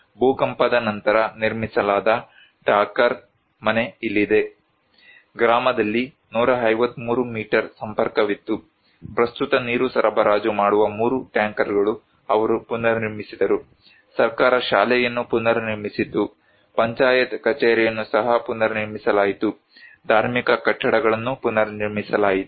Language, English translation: Kannada, Here is the Thakar house built after earthquake, there were 153 meter connections in the village, presently three tankers of providing water supply, they reconstructed government reconstructed the school, panchayat office was reconstructed also, religious buildings were reconstructed